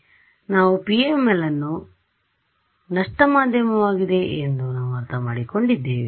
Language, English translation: Kannada, So, we have understood PML and we have understood that the PML is the same as a lossy media